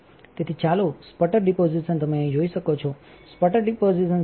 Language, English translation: Gujarati, So, let us see the sputter deposition you can see here sputter deposition system